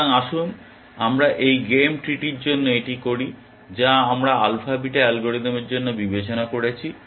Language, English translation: Bengali, So, let us do that for this game tree that we had considered for the alpha beta algorithm